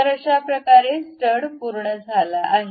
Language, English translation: Marathi, So, that the stud is done